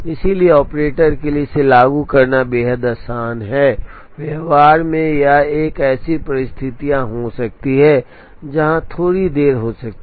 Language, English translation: Hindi, So, it is extremely easy for the operator to implement, in practice it there could be situations where, there can be slight delays